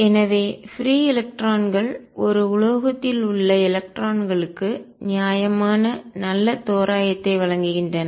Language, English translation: Tamil, So, free electrons offer a reasonably good approximation to electrons in a metal